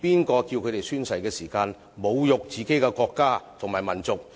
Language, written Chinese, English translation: Cantonese, 誰教他們在宣誓時侮辱自己的國家和民族？, Who made them insult their country and people when taking oath?